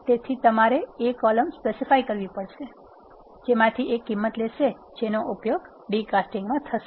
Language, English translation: Gujarati, So, you have to specify the columns from which the values to be taken from when you are d casting